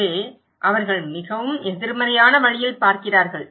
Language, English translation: Tamil, So, they are looking in a very negative way